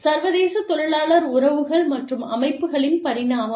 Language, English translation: Tamil, Evolution of international labor relations and organizations